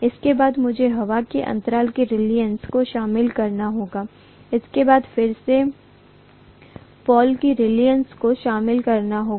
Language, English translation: Hindi, Then I have to include the reluctance of the air gap, then the reluctance of the pole again, right